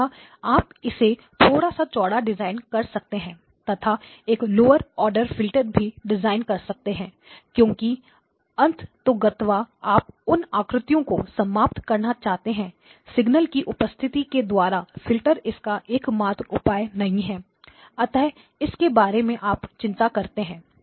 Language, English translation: Hindi, So you could have designed it slightly wider and therefore a lower order filter as well, because ultimately what you want to kill is the signal presence of the signal the filters are not the ultimate ones that you have to worry about